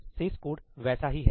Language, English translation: Hindi, And the remaining code is the same